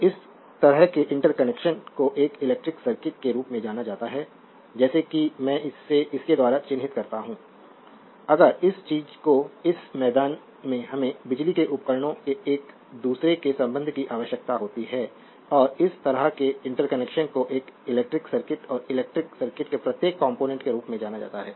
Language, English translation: Hindi, So, and such interconnection is known as an as your as an electric circuit like if I mark it by this, if this thing this plain we require an interconnection of electrical devices and such interconnection is known as an electric circuit right and each component of the electric circuit is known as element